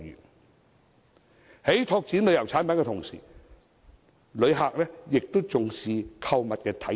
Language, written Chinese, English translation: Cantonese, 在我們拓展旅遊產品的同時，旅客也重視購物體驗。, As we develop tourism products visitors also value shopping experience